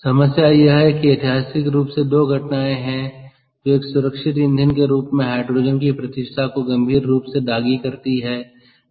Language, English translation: Hindi, the problem is there are historically two incidents that are severely tainted the reputation of hydrogen as a safe fuel